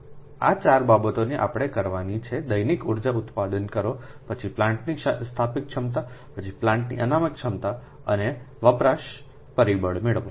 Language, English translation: Gujarati, this four things we have to obtain daily energy produced, then installed capacity of plant, then reserve capacity of plant and d utilization factor right